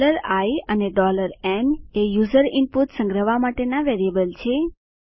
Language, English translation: Gujarati, $i and $n are variables to store user input